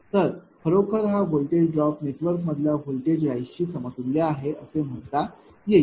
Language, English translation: Marathi, So, this is actually voltage drop mean this is equivalent to your; what you call the voltage raise in that network